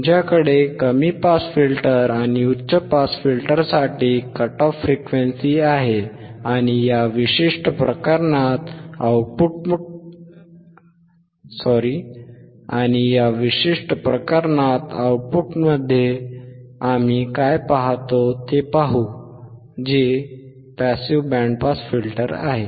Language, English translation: Marathi, Now yYou have the cut off frequency for low pass you have cut off frequency for and high pass and let us see what we see at the output in this particular case, which is the passive band pass filter